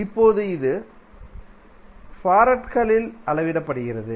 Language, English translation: Tamil, Now, it is measured in farads